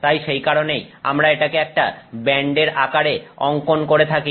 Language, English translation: Bengali, So, that is why we draw it as a band